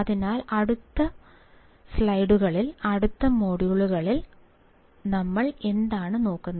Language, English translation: Malayalam, So, in the next slides, in the next modules, what we will be looking at